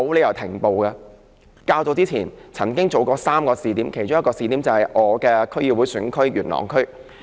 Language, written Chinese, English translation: Cantonese, 漁護署較早前曾經在3個試點實施這政策，其中一個試點是我的區議會選區元朗區。, AFCD selected three locations earlier to implement this policy on a trial basis . One of the locations is Yuen Long which is my District Council constituency